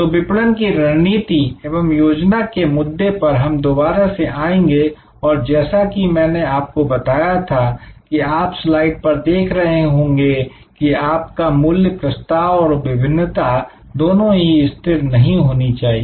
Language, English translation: Hindi, So, marketing strategy and marketing plan we will revisit this particular issue and as I was mentioning as you see on the slide, that your value proposition as well as your differentiation will not be static